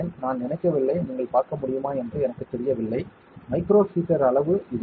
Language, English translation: Tamil, I do not think, I do not know if you can see it, this is the size of the micro heater ok